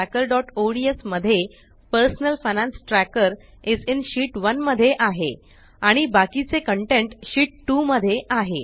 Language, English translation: Marathi, In Personal Finance Tracker.ods the personal finance tracker is in Sheet 1 and the rest of the content is in Sheet 2